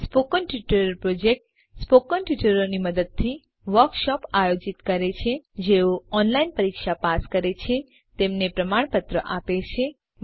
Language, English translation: Gujarati, The Spoken Tutorial Project conducts workshops using spoken tutorials also gives certificates to those who pass an online test